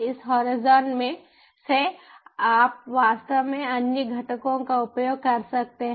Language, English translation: Hindi, from this horizon you can actually access other components